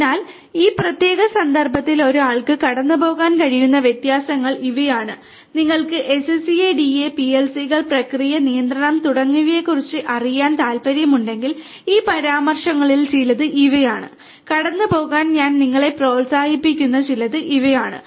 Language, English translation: Malayalam, So, these are the differences that one could go through in this particular context and these are some of these references if you are interested to know about SCADA, PLCs you know process control and so on; these are some of the ones that you know I would encourage you to go through